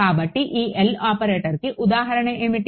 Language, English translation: Telugu, So, what could be an example of this L operator